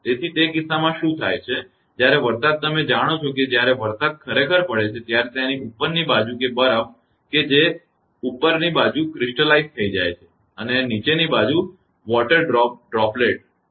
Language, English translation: Gujarati, So, in that case what happen that when a rain you know that, when rain falls actually that upper side of the that that the ice that the upper side will be crystallized and bottom side will be water drop droplet